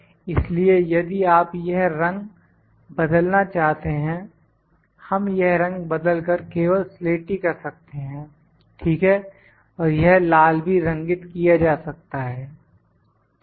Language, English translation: Hindi, So, if you like to change this colour we can change this colour to the gray only, ok, and this can be coloured maybe red, ok